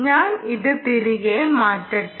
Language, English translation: Malayalam, so let me shift this back